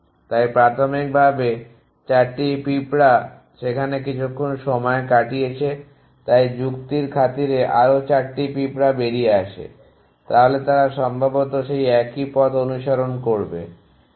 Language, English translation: Bengali, So initially 4 ant spent out there after sometime 4 so let us a 4 more just for the sake of the argument 4 more ants come out then they likely to follow the trails